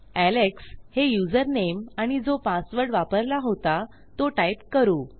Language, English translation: Marathi, Lets say username is alex and my password is the password that I used